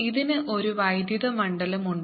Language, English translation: Malayalam, this has an electric field